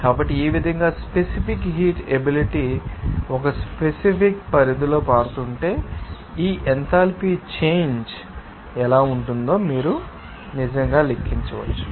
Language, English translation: Telugu, So, in this way, you can actually calculate how this enthalpy change will be there, if the specific heat capacity will be changing within a certain range of temperature